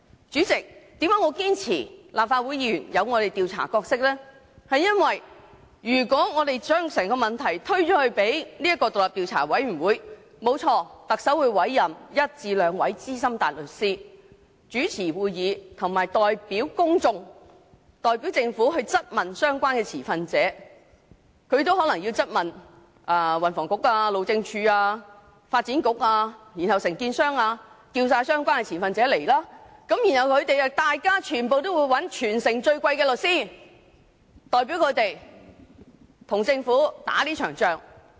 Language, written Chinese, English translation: Cantonese, 主席，我堅持立法會議員有其調查角色，是因為如果我們把整個問題推給那個調查委員會，特首確會委任一至兩位資深大律師主持會議，並代表公眾和政府質問相關的持份者，包括運輸及房屋局、路政署、發展局及有關承建商等，傳召相關的持份者出席調查委員會的會議，而他們亦會聘請全城最昂貴的律師代表他們，跟政府打這場仗。, If we leave the investigation work to the Commission of Inquiry the Chief Executive will surely appoint one to two Senior Counsels to preside at the meeting . They will on behalf of the general public and the Government put questions to the relevant stakeholders including the Transport and Housing Bureau HyD the Development Bureau and the contractors in question . These stakeholders will be summoned to attend before the Commissioner of Inquiry to give evidence